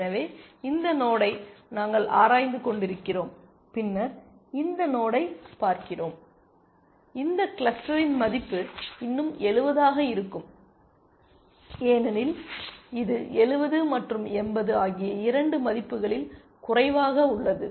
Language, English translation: Tamil, So, which amounts to say that we are exploring this node, and we are looking at this node then, the value of this cluster would still be 70 because that is the lower of this two values 70 and 80